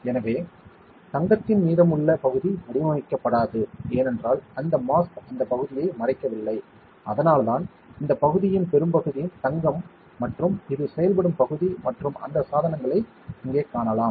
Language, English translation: Tamil, So, the remaining portion of the gold will not be patterned, because it is not that mask is not covering that area, that is why most of this area of is gold and this is the active area and we can see that devices here